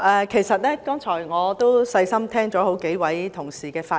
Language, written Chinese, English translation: Cantonese, 其實，我剛才細心聆聽好幾位同事的發言。, In fact I have listened carefully to the speeches of several colleagues just now